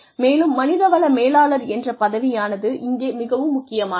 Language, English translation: Tamil, Again, the role of the HR manager is very important here